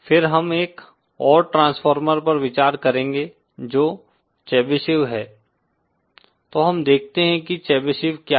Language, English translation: Hindi, Then we will consider one more transformer which is Chebyshev, so let us see what is a Chebyshev